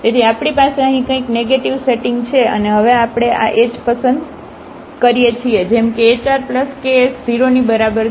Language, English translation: Gujarati, So, we have something negative sitting here now and we choose this h now such that hr plus this ks is equal to 0